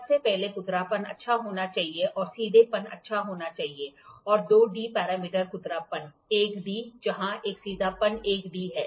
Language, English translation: Hindi, First of all the roughness should be good and straightness should be good and the 2D parameter, roughness 1D where a straightness is also 1D